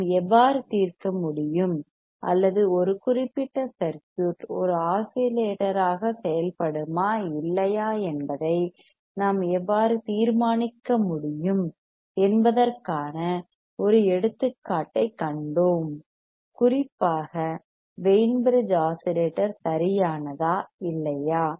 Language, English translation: Tamil, Then we have seen an example how we can solve or how we can determine whether a given circuit will work as an oscillator or not that to particularly Wein bridge oscillator right